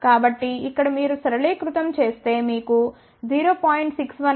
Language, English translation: Telugu, So, put it over here simplify you will get 0